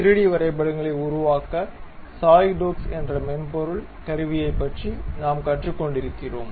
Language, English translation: Tamil, We are learning about a software tool named Solidworks to construct 3D drawings